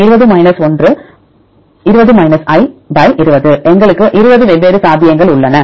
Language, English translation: Tamil, We have 20 possibilities not the same one